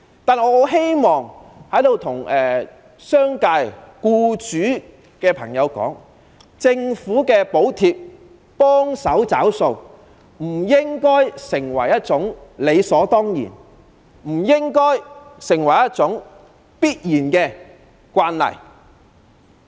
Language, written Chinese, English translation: Cantonese, 不過，我十分希望在這裏告訴商界僱主，政府補貼幫忙"找數"，不應視為理所當然的慣例。, Nevertheless I very much want to ask the employers in the business sector not to take subsidization from the Government for granted